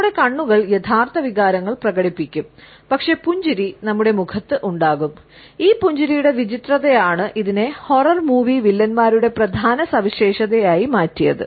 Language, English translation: Malayalam, Our eyes would express the true emotions, but the grin would be there on our face and it is this creepiness of this grin, which has become a staple of horror movie villains